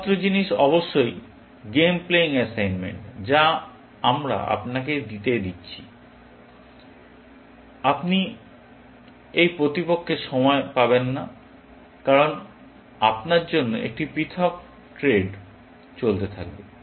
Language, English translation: Bengali, The only thing is, of course, in the game playing assignment that we are going to give you; you will not get this opponent’s time, because you will have a separate thread running